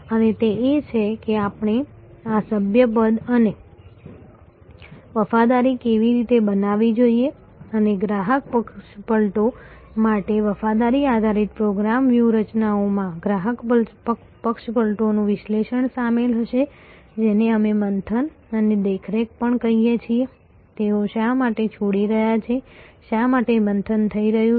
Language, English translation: Gujarati, And that is, how we should to create this membership and loyalty a loyalty based program strategies for customer defection will include analyzing customer defection, which we also called churn and monitoring, why they are leaving, why the churn is happening